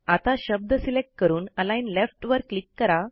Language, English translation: Marathi, So, lets select the word and click on Align Left